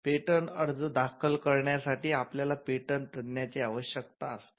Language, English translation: Marathi, For filing and prosecuting patents, you need a specialist called the patent agent